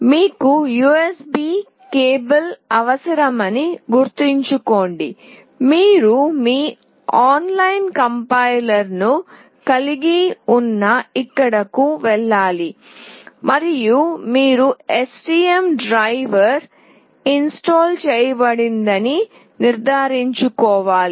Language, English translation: Telugu, Please remember that you need the USB cable, you need to go here where you will have your online complier and you have to also make sure that the STM driver is installed